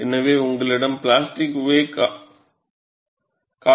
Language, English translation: Tamil, So, you have the plastic wake shown